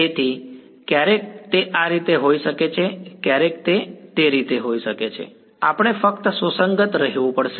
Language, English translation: Gujarati, So, sometimes it may be this way sometimes it may be that way we just have to be consistent